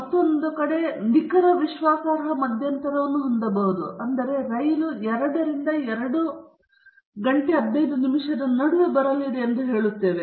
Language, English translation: Kannada, On other hand, we can also have a very precise confidence interval which says that the train is going to come between 2 and 2:15